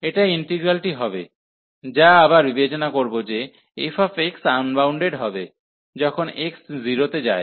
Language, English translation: Bengali, So, this will be integral, which will be considering again that f x is unbounded, when x goes to the 0